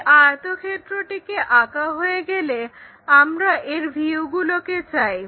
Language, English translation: Bengali, Once this rectangle is constructed, we want views of that